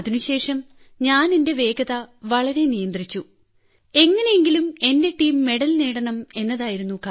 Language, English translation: Malayalam, After that, I controlled my speed so much since somehow I had to win the team medal, at least from here